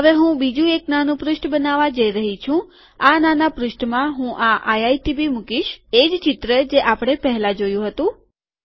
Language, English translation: Gujarati, Now I am going to create another mini page and in this mini page I am going to put this IITb, the same image we saw earlier